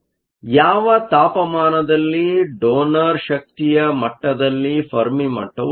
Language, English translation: Kannada, At what temperature does the fermi level lie in the donor energy level